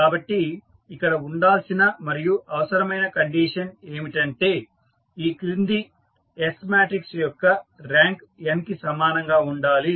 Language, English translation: Telugu, So, the condition is necessary and sufficient that the following S matrix has the rank equal to n